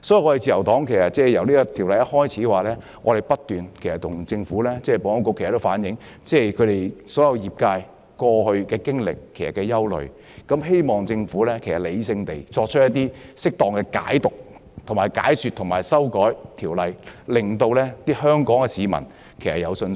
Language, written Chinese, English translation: Cantonese, 所以，自由黨在政府提出《條例草案》初期不斷向政府及保安局反映業界的經歷和憂慮，希望政府理性地作出適當解說和修訂，令香港市民對《條例草案》有信心。, Therefore the Liberal Party had conveyed the experience and concerns of the industry to the Administration and the Security Bureau when the Bill was first introduced urging the Administration to give explanations rationally and make appropriate amendments so as to instil public confidence in the Bill